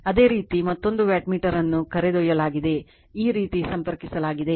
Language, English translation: Kannada, Similarly another wattmeter is carried your what you call , connected like this right